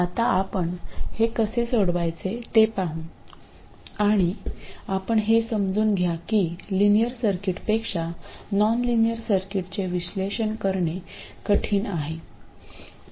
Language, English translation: Marathi, Now we will see how to solve this and you will understand that the analysis of nonlinear circuits is considerably harder than linear circuits